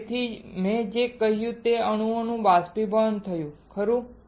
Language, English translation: Gujarati, So, what I said atoms evaporated right